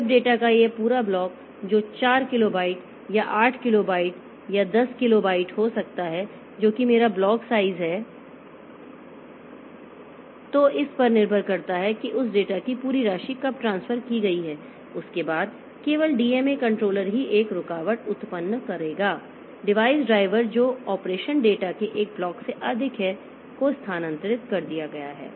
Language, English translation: Hindi, When this entire block of data which may be 4 kilobyte or 8 kilobyte or 10 kilobyte whatever be my block size, so depending on that when that entire amount of data has been transferred in that after that only the DMA controller will generate and interrupt to the device driver that the operation is over